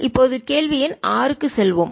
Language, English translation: Tamil, now we will move to question number six